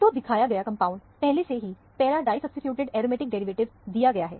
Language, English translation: Hindi, So, the compound is already shown to be the, given to be the para disubstituted aromatic derivative